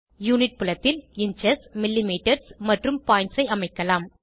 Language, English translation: Tamil, Unit field can be set in inches, millimetres and points